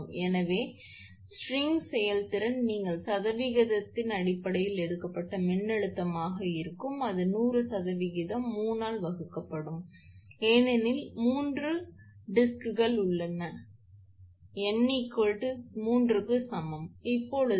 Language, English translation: Tamil, Therefore, string efficiency it will be voltage you taken in terms of percentage, it will be 100 percent divided by 3 because three discs are there in, n is equal to 3, 3 disc are there into the highest voltage is 30 lower bottom unit voltage across the bottom unit is 38